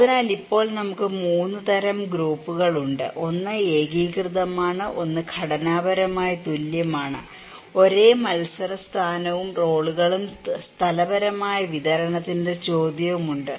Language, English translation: Malayalam, So, now we have 3 kinds of groups; one is cohesive, one is structurally equivalents, there is same competition position and roles and the question of spatially distribution